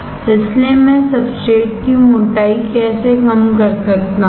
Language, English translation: Hindi, So, how can I reduce the thickness of the substrate